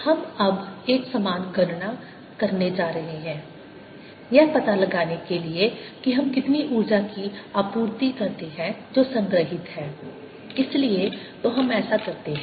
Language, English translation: Hindi, so we are going to do a similar calculation now to find out how much energy do we supply that is stored